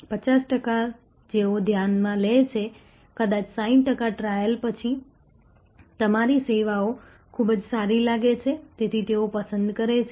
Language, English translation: Gujarati, Of the 50 percent who consider, maybe 60 percent after trial find your services pretty good, so they prefer